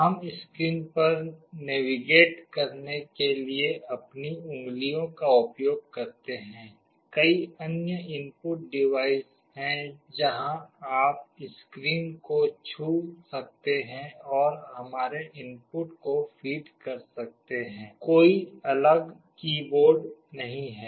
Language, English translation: Hindi, We use our fingers to navigate on the screen; there are many other input devices where you can touch the screen and feed our inputs; there is no separate keyboard